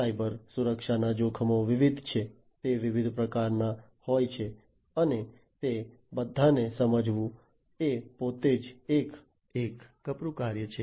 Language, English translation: Gujarati, Cybersecurity threats are varied, they are of different types and going through and understanding all of them is a herculean task, by itself